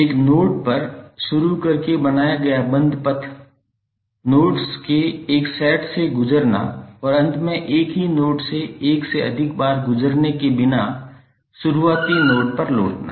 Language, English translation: Hindi, The closed path formed by starting at a node, passing through a set of nodes and finally returning to the starting node without passing through any node more than once